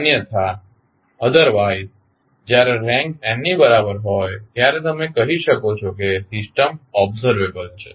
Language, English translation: Gujarati, Otherwise when the rank is equal to n you will say the system is observable